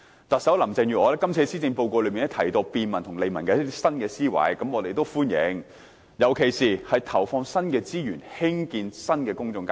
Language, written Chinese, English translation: Cantonese, 特首林鄭月娥在施政報告提到一些便民和利民的新思維，我們也表示歡迎，尤其是投放新的資源興建新的公眾街市。, Chief Executive Carrie LAM has put forth some new thinking on bringing convenience and benefits to the public . We welcome these proposals particularly on the allocation of additional resources for the construction of new public markets